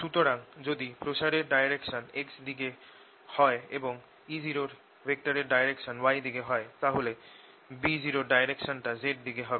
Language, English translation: Bengali, so if this is a direction of propagation x, and if e happens to be in the y direction, then b would be in the z direction